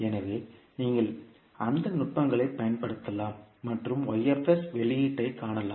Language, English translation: Tamil, So, you can apply those techniques and find the output y s